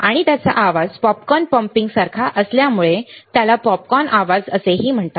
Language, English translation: Marathi, And because of its sound similar to popcorn popping, it is also called popcorn noise; it is also called popcorn noise